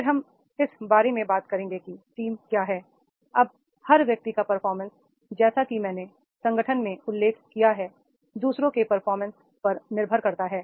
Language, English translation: Hindi, The team is the now every individual's performance as I mentioned in the organization depends on the performance of others